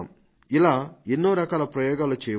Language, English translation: Telugu, We can undertake several such experiments